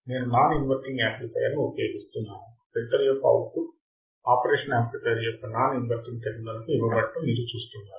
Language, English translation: Telugu, I am using a non inverting amplifier as you can see the output of the filter is fed to the non inverting terminal of the operational amplifier